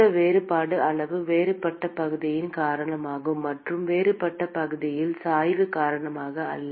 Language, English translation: Tamil, This differential amount is because of the differential area and not because of the differential temperature gradient